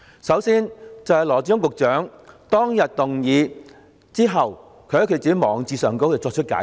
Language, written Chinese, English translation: Cantonese, 首先，羅致光局長當日提出有關動議後，在自己的網誌上作出解釋。, First having proposed the motion concerned then Secretary Dr LAW Chi - kwong provided his explanations on his blog